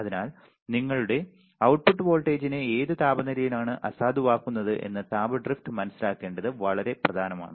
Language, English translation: Malayalam, So, it is very important to understand the thermal drift that what temperature you are nullifying your output voltage